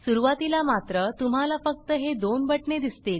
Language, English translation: Marathi, In the beginning however, you will see only these two buttons